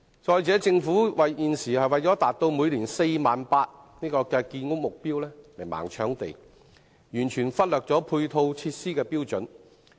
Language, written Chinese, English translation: Cantonese, 此外，政府現時為了達到每年 48,000 個單位的建屋目標而"盲搶地"，完全忽略配套設施的標準。, Besides in order to achieve the annual housing supply target of 48 000 units the Government has been blindly grabbing land in total neglect of the standards for providing ancillary facilities